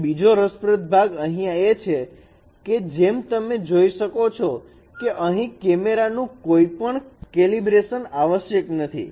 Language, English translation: Gujarati, And another interesting part here you can see that you do not require any calibration of the cameras here